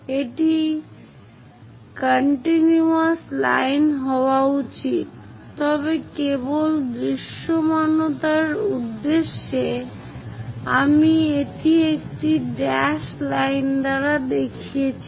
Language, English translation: Bengali, It should be a continuous line, but just for visibility purpose, I am showing it by a dashed line